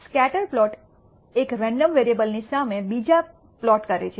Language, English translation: Gujarati, The scatter plot plots one random variable against another